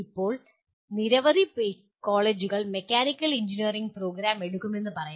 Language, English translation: Malayalam, Now all, let us say you take a mechanical engineering program in several colleges